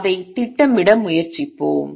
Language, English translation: Tamil, Let us try to plot it